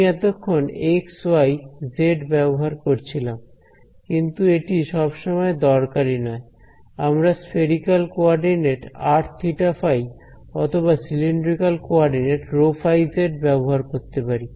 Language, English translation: Bengali, So, far I have been using the language of x y z, but it is not necessary I can use the spherical coordinate’s r theta phi or use cylindrical coordinates rho z phi